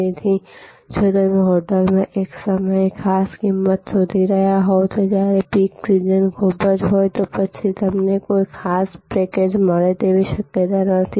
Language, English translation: Gujarati, So, if you are looking for a special price at a time on the hotel is very busy peek season, then it is a not likely that you will get a special package